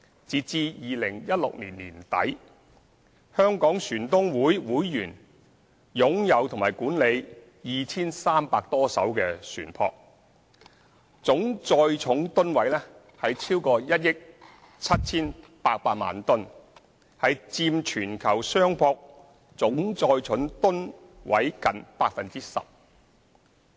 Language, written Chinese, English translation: Cantonese, 截至2016年年底，香港船東會會員擁有及管理 2,300 多艘船舶，總載重噸位超過1億 7,800 萬噸，佔全球商船總載重噸位近 10%。, At the end of 2016 members of the Hong Kong Shipowners Association owned and managed over 2 300 vessels with a total tonnage of over 178 million tonnes accounting for almost 10 % of the total tonnage of the worlds merchant maritime capacity